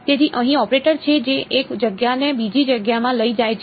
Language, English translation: Gujarati, So, L over here is the operator that takes one space to another space